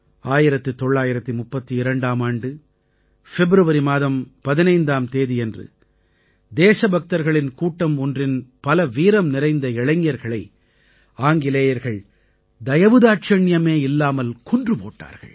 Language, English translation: Tamil, On 15th of February 1932, the Britishers had mercilessly killed several of a group of brave young patriots